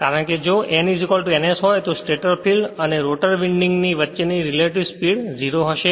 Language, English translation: Gujarati, Because if n is equal to ns the relative speed between the stator field and rotor winding will be 0 right